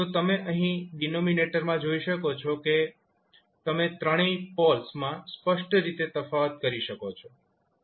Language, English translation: Gujarati, So, here you can see in the denominator, you can clearly distinguish all three poles